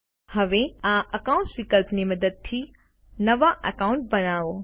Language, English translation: Gujarati, Now, lets create a new account using the Accounts option